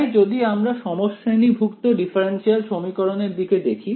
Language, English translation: Bengali, So, if I look at the homogeneous differential equation ok